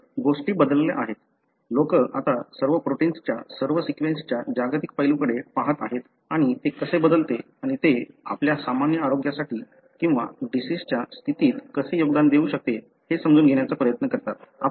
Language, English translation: Marathi, So, things have changed, people are now looking at global aspect of all the sequence all the protein and try to understand how that varies and how that may contribute to your normal health or you know, in disease condition